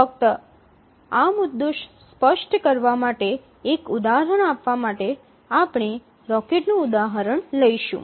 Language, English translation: Gujarati, Just to give an example, to make this point clear, we will take the example of a rocket